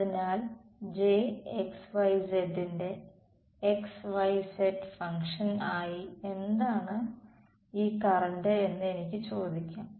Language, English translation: Malayalam, So, the J x, y, z I can ask what is this current as a function of xyz